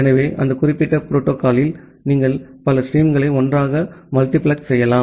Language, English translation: Tamil, So, in that particular protocol, you can multiplex multiple streams together